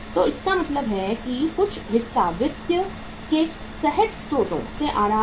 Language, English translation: Hindi, So it means some part is coming from spontaneous sources of the finance